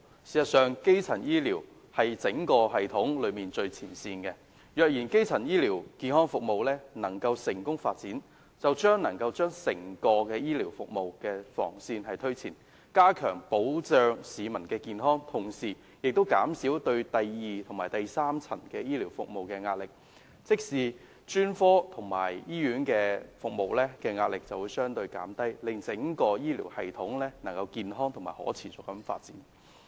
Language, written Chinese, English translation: Cantonese, 事實上，基層醫療是整個系統的最前線，若基層醫療健康服務能夠成功發展，將能夠推前整個醫療服務的防線，加強保障市民健康，同時亦可以減少第二及第三層醫療服務的壓力，即專科及醫院服務的壓力會相對減低，令整個醫療系統能夠健康及可持續的發展。, If the Government can develop primary health care services the protection of public health can be enhanced as the defensive line of the entire health care services is pushed forward a bit . At the same time it can also help to alleviate the pressure at the secondary and tertiary level . That is the pressure on specialist and hospital services will be reduced and the entire health care system can be developed in a healthier and more sustainable manner